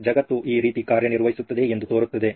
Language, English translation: Kannada, That’s how world seems to be working this way